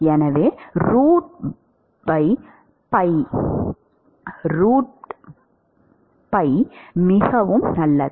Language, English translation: Tamil, So, the root pi by 2 very good